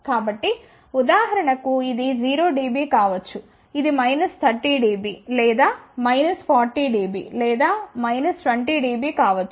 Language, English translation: Telugu, So, for example, this may be 0 dB, this may be minus 30 dB or minus 40 dB or minus 20 dB